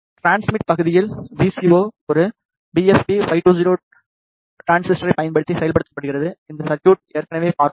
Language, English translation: Tamil, In transmit part the VCO is implemented using a BFP 520 transistor we have seen this circuit already